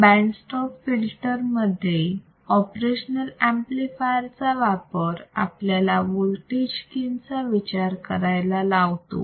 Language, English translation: Marathi, The use of operational amplifier within the band stop filter design, also allows us to introduce voltage gain right